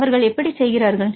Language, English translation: Tamil, How they do